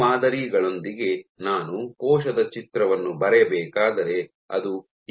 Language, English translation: Kannada, So, with these models, so if I were to draw a picture of a cell like this